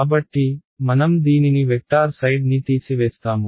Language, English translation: Telugu, So, I have this remove the vector side